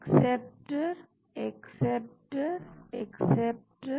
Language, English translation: Hindi, acceptor, acceptor, acceptor